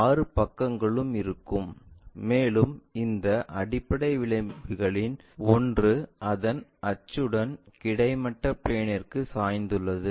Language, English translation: Tamil, 6 sides will be there, and one of these base edges with its axis also inclined to horizontal plane